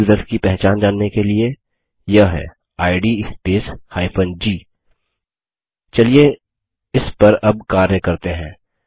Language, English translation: Hindi, To know about the identity of the group users, it is id space g Now lets work on this